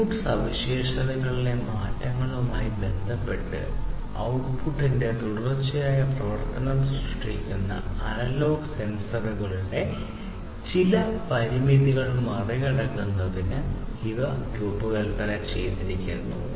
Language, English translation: Malayalam, And these have been designed in order to overcome some of the limitations of the analog sensors which produces continuous function of the output with respect to the input changes, change characteristics